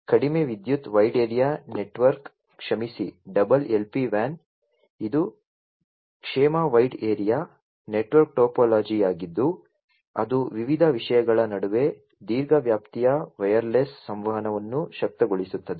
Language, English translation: Kannada, So, low power wide area network sorry double LPWAN; it is a wellness wide area network topology that enables long range wireless communication among different things